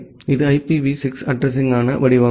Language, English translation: Tamil, So, this is the format for the IPv6 addressing